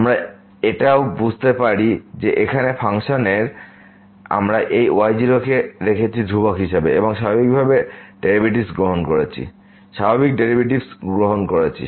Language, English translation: Bengali, We can also understand this as so here in the function we have kept this as constant and taking this usual derivatives